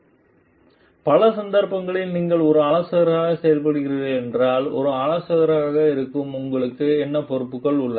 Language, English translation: Tamil, Like, if in many cases if you are functioning as a consultant then what are the responsibilities of you as a consultant also